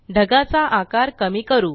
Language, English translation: Marathi, Let us reduce the size of this cloud